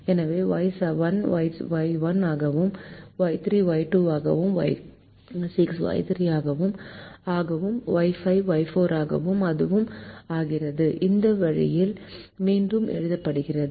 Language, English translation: Tamil, the variables are renamed so y seven becomes y one, y three becomes y two, y six becomes y three, y five becomes y four, and it is rewritten this way